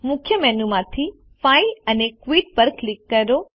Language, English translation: Gujarati, From the Main menu, click File and Quit